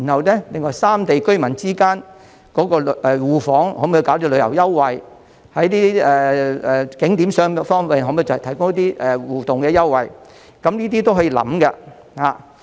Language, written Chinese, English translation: Cantonese, 然後，三地居民之間的互訪亦可以推出旅遊優惠，在景點上的方便可否提供互動的優惠，這些都是可以考慮的。, Besides we can also consider whether we can offer travel concessions for people living in the three places or provide mutual concessionary packages to facilitate people visiting tourist spots in the three places